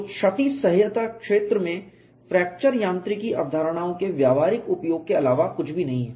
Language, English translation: Hindi, So, damage tolerance is nothing but practical utilization of fracture mechanics concepts in the field